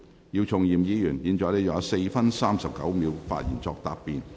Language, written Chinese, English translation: Cantonese, 姚松炎議員，你還有4分39秒作發言答辯。, Dr YIU Chung - yim you still have 4 minutes 39 seconds to reply